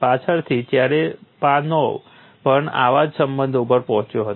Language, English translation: Gujarati, Later Cherepanov also arrived at similar relations